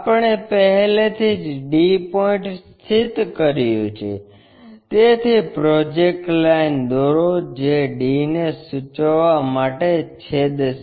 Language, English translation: Gujarati, We have already located d point, so draw a projector line which cuts that to indicates d'